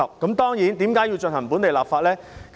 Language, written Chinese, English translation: Cantonese, 其實，我們為何要進行本地立法呢？, In fact why must we enact a piece of local legislation?